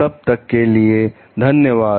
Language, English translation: Hindi, Thank you till then